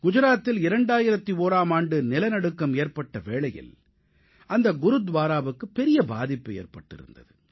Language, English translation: Tamil, This Gurudwara suffered severe damage due to the devastating earth quake of 2001 in Gujarat